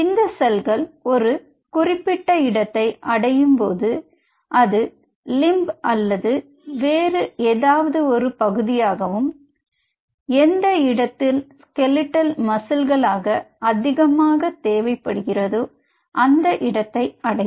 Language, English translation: Tamil, Now these cells reach the specific side, maybe it may be a limb or some other part wherever the skeletal muscles are needed